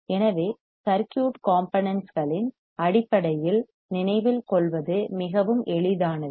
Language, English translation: Tamil, So, very easy to remember based on circuit components as well